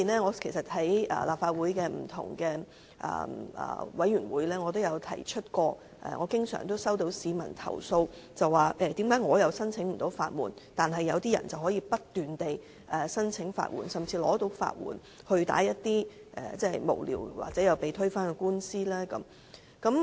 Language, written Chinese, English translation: Cantonese, 我在立法會不同的委員會都曾提及，我經常收到市民投訴無法申請法援，但有些人卻可以不斷申請法援，甚至獲批法援去提出一些無聊或最終被推翻的官司。, I have mentioned in various committees that I often receive complaints from members of the public saying that they have no way to apply for legal aid . Nevertheless some people can apply for legal aid continuously and are even granted legal aid to initiate litigations that are frivolous or eventually overturned